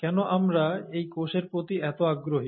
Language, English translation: Bengali, Why are we so interested in this cell